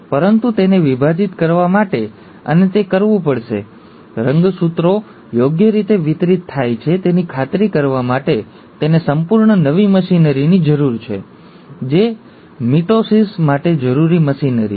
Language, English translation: Gujarati, But, for it to divide, and it has to, for it to ensure that the chromosomes get properly distributed, It needs a whole lot of new machinery, which is the machinery required for mitosis